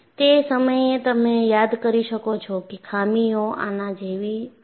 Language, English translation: Gujarati, At that time you could recall, indeed, the flaws were like this